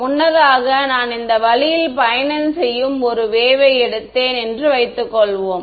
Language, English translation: Tamil, Previously, supposing I took a wave travelling in this way right